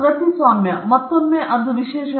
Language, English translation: Kannada, Copyright, again it’s an exclusive right